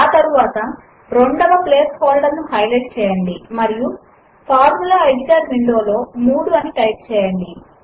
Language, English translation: Telugu, Next, let us highlight the second place holder and type 3 in the Formula editor window